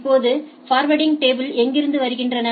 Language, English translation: Tamil, Now, where do the forwarding tables come from